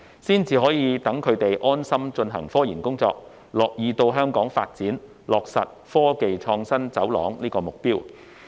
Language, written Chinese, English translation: Cantonese, 這樣才可讓他們安心進行科研工作，樂意到香港發展，落實建設科技創新走廊的目標。, This will enable them to engage in RD with peace of mind and gladly develop their careers in Hong Kong thereby achieving the objective of developing an IT corridor